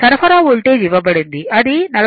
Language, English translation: Telugu, The supply Voltage is given it is 43